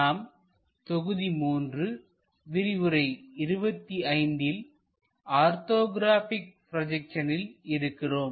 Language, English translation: Tamil, We are covering module number 3 lecture number 25 on Orthographic Projections